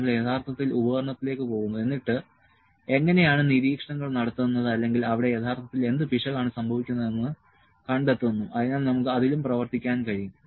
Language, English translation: Malayalam, We are actually go to the instrument we will find that how observation are being taken, what error is happening actually there so, we can work on that as well